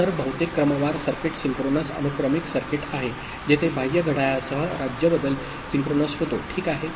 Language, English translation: Marathi, So, most of the sequential circuit are synchronous sequential circuit, where the state change takes place synchronous with an external clock, ok